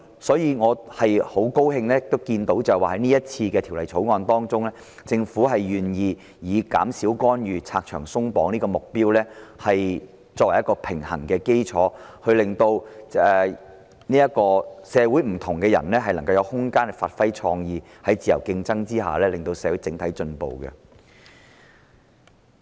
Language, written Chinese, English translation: Cantonese, 所以，我很高興在這項《條例草案》中，政府願意以減少干預和拆牆鬆綁的目標作為取得平衡的基礎，令社會上不同的人士能有空間發揮創意，令社會在自由競爭下整體進步。, Therefore I am pleased that the Government is willing to take the objectives of reducing interventions and removing barriers as the basis for striking a balance in this Bill so as to allow rooms for people from all walks of life to give full play to creativity thereby facilitating the overall advancement of society under a level playing field